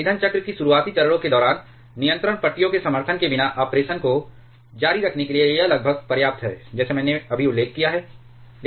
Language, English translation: Hindi, During the initial phases of the fuel circle, it alone is nearly sufficient to continue the operation without the support of control rods like I have just mentioned